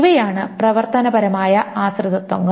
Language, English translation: Malayalam, These are the functional dependencies